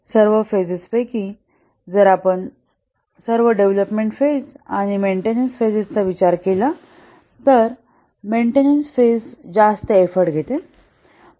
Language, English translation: Marathi, Among all the phases, if we consider all the phases, the development phases and maintenance phase, then the maintenance phase consumes the maximum effort